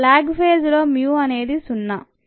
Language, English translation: Telugu, in the lag phase, mu is zero